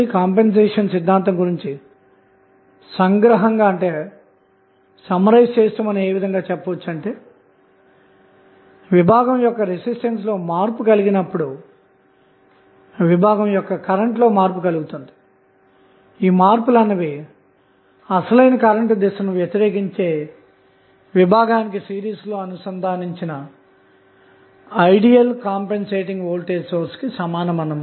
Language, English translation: Telugu, So, what you can say the compensation theorem can basically summarized as follows that with the change of the branch resistance, branch current changes and the changes equivalent to an ideal compensating voltage source that is in series with the branch opposing the original current and all other sources in the network being replaced by their internal resistance